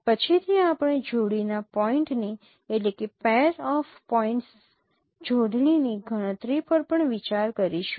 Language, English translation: Gujarati, Later on we will also consider the computation of matching of pair of points